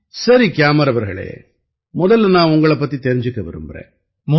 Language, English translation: Tamil, Fine Gyamar ji, first of all I would like toknow about you